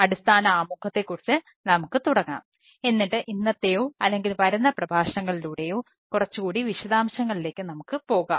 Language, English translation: Malayalam, we will start with the basic introduction and we will go to more details in todays or subsequent lectures